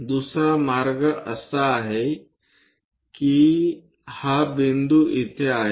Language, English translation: Marathi, The other way is the point is here